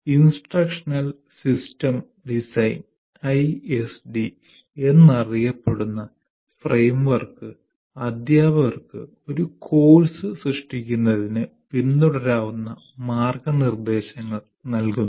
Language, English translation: Malayalam, And framework known as instructional system design, we will explain it later what ISD is, provides guidelines teacher can follow in order to create a course